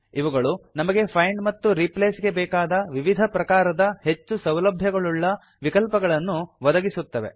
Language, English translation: Kannada, They provide users with various types of advanced find and replace options